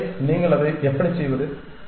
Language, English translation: Tamil, So, how do you do that